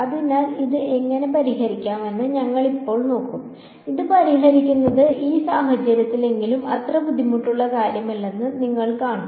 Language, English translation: Malayalam, So, now we will look at how to solve it you will see that solving this is actually not that difficult at least in this case